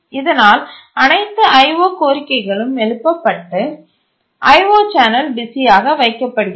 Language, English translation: Tamil, O requests are raised and the IO channel is kept busy